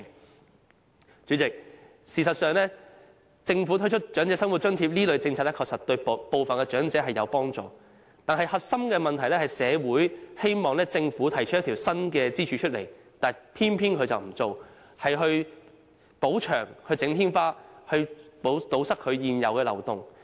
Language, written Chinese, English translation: Cantonese, 代理主席，事實上，政府推出長者生活津貼這類政策確實對部分長者有幫助，但核心問題是社會希望政府設立一根新支柱，而政府卻偏偏不這樣做，只是修補牆壁和天花板，以堵塞現有漏洞。, Deputy President in fact the Governments policies on introducing measures like OALA will help some of the elderly yet the crux of the problem is that society aspires for the establishment of a new pillar . Nonetheless the Government refuses to do so . It is only willing to repair the walls and the ceilings to plug the loopholes